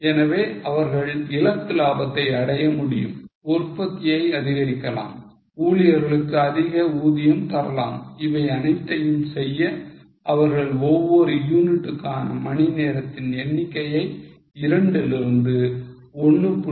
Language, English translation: Tamil, So, they will be able to achieve the target profit, increase the production, give more payment to workers, do everything provided, they can reduce the number of hours per unit from 2 to 175